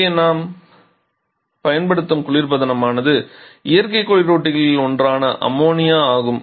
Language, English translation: Tamil, Synthetic refrigerants, where is here we are using natural refrigerant in the form of ammonia, or water vapour